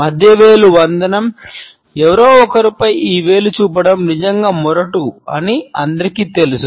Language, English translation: Telugu, The middle finger salute, everybody knows that pointing this finger at somebody is really rude